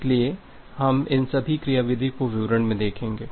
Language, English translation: Hindi, So, we will look all these mechanism in details